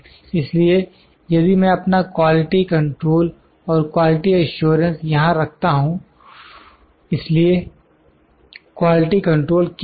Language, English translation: Hindi, So, if I put my quality control and quality assurance here, so what is quality control